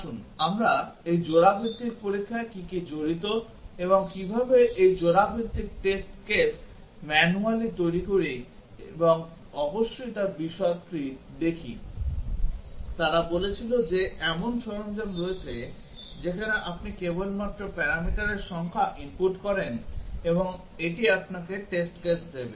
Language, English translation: Bengali, Let us look at the details of how do we what is involved in this pair wise testing and how do we generate these pair wise test cases manually and of course, they said that there are tools available where you just input the number of parameters and it will give you the test cases